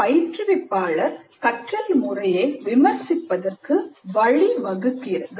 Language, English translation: Tamil, This allows the instructor to review the process of learning